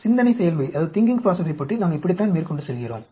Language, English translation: Tamil, This is how we go about thinking process